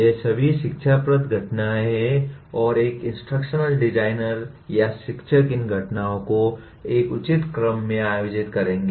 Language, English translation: Hindi, These are all instructional events and an instructional designer or the teacher will organize these events in a proper sequence